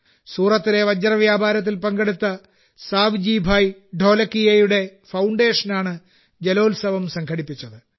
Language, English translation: Malayalam, This water festival was organized by the foundation of SavjibhaiDholakia, who made a name for himself in the diamond business of Surat